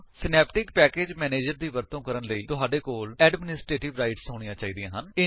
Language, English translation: Punjabi, You need to have the administrative rights to use Synaptic package manager